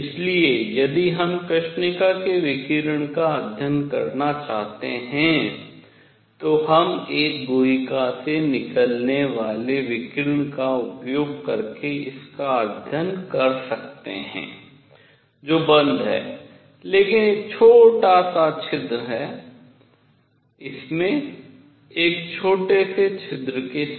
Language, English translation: Hindi, So, if we wish to study black body radiation, we can study it using radiation coming out of a cavity which is closed, but has a small hole; with a small hole in it